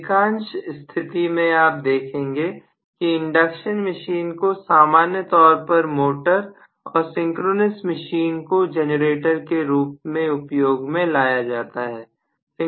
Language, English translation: Hindi, In most of the cases you would see that induction machine is normally run as a motor and synchronous machine is normally run as a generator